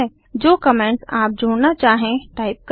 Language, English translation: Hindi, Type the comments that you wish to add